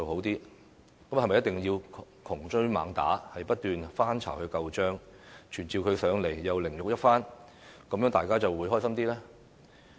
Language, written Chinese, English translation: Cantonese, 是否一定要窮追猛打，不斷翻她舊帳、傳召她來立法會凌辱一番，大家便會很高興呢？, Is it that Members will only be pleased if she is pursued and attacked ceaselessly her past records reviewed constantly and she is summoned to the Council to be humiliated?